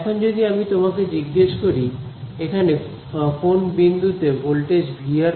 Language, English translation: Bengali, Now, if I ask you what is let us say, the voltage at some point over here V of r